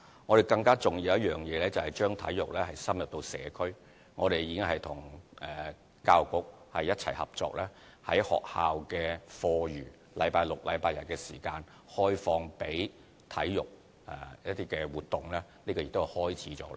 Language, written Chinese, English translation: Cantonese, 我們更重要的工作是將體育深入社區，我們已經和教育局一起合作，在學校的課餘星期六、日的時間，開放予體育活動，這已經開始了。, Our more important duty is to promote sports in the community . In cooperation with the Education Bureau we encourage certain schools to open up their facilities for sports activities during weekends and this initiative has already started